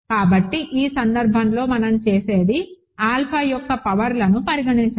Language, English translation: Telugu, So, in this case what we do is consider the powers of alpha